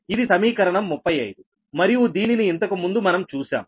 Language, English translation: Telugu, that is equation thirty five, if you do so